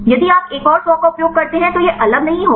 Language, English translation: Hindi, If you use another 100 close to this not be the same there will be different